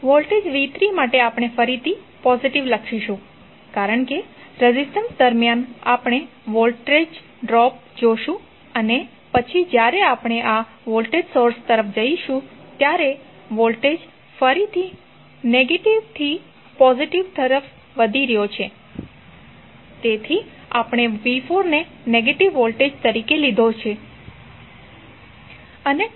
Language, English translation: Gujarati, For voltage v¬3¬ we will again write as positive because the, across the resistance we will see the voltage drop and then again when we go across this voltage source, the voltage is again rising form negative to positive so we have taken voltage as negative of v¬4¬